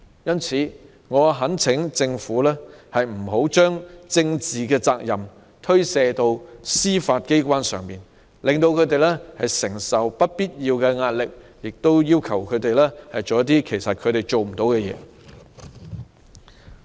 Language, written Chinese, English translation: Cantonese, 因此，我懇請政府不要將政治責任推卸到司法機關，令他們承受不必要壓力，或要求他們做一些他們做不來的事情。, Therefore I urge the Government not to shirk political responsibilities onto the Judiciary putting them under unnecessary pressure or requiring them to do something that they cannot do